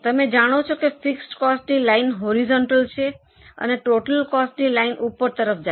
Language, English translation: Gujarati, You know that fixed cost line is totally horizontal and total cost line goes up